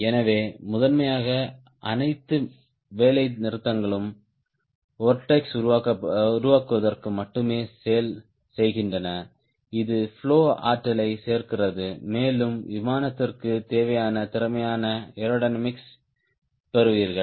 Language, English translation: Tamil, so primarily, all strakes is to do that only, to generate vertex which adds up energy to the flow and in turn you get a efficient aerodynamics as required for the airplane